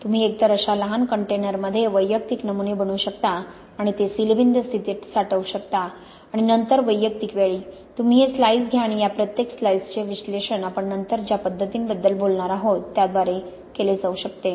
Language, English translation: Marathi, You can either make individual samples in small containers like this and store them in sealed conditions or you and then at individual time, you take these slices and each of these slices can be analyzed by the methods we are going to talk about later